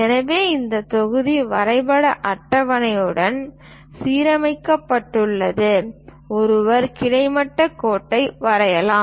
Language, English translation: Tamil, So, once this block is aligned with the drawing table, then one can draw a horizontal line